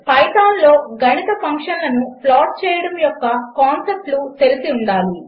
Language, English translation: Telugu, One needs to be familiar with the concepts of plotting mathematical functions in Python